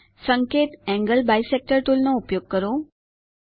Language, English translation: Gujarati, Hint Use Angle Bisector tool